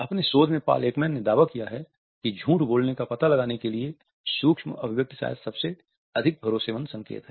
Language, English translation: Hindi, In his research Paul Ekman has claimed that micro expressions are perhaps the most promising cues for detecting a lie